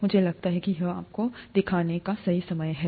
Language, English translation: Hindi, I think it is the right time to show you that